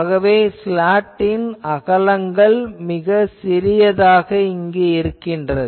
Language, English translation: Tamil, So, in that case slots are generally that width are very small